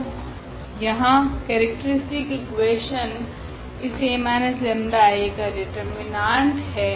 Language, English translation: Hindi, So, here the characteristic equation is the determinant of this A minus lambda I